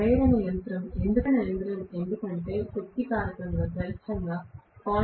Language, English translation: Telugu, Because induction machine, the power factor can be only 0